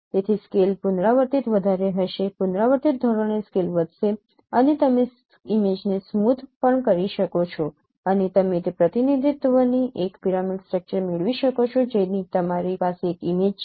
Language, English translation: Gujarati, So scale would be higher, iteratively, iteratively scale will be increasing and also you can down sample the image and you can get a pyramidal structure of that representation